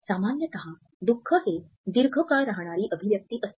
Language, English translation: Marathi, Usually sadness is a longer facial expression